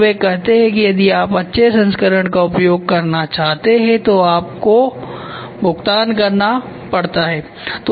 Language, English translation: Hindi, And they say if you want to use a slightly higher version then it becomes paid